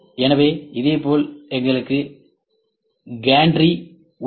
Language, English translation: Tamil, So, similarly we have gantry